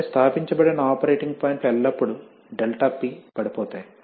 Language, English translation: Telugu, So the operating points that are established will always have ∆P falling